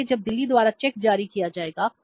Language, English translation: Hindi, So when the check will be issued by the Delhi